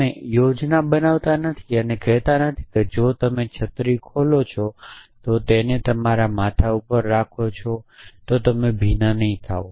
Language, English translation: Gujarati, You do not plan and say that if you open in umbrella and keep it over your head then you will not get wet